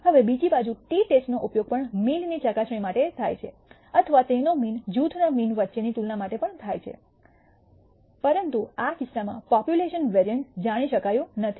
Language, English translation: Gujarati, Now, the t test on the other hand is used also for a test of the mean or a comparison between means group means, but in this case the population variance is not known